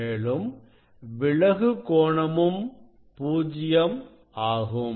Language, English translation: Tamil, refracted angle also will be 0